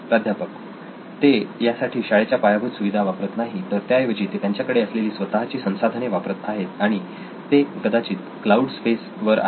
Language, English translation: Marathi, They are not doing it on school infrastructure but they are using their own infrastructure to do this and it is probably on cloud space